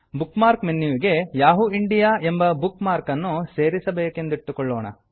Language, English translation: Kannada, Lets say we want to add the Yahoo India bookmark to the Bookmarks menu